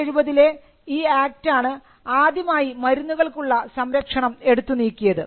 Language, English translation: Malayalam, So, the 1970 act for the first time, it removed product protection for medicines